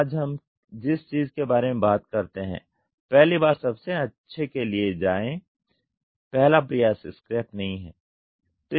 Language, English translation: Hindi, Today what we talk about is go best the first time first part is not scrap